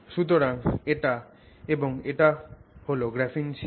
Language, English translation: Bengali, So, this is a graphene sheet